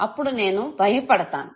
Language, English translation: Telugu, I would be scared of it